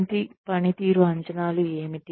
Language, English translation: Telugu, What per performance appraisals are